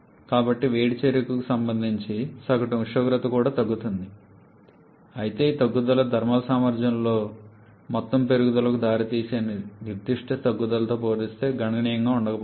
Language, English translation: Telugu, So, the average temperature corresponding to heat addition is also decreasing but this decrease may not be significant compared to this particular decrease leading to an overall increase in the thermal efficiency